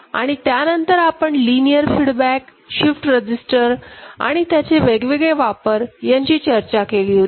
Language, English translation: Marathi, And then we discussed at length linear feedback shift register, and its various use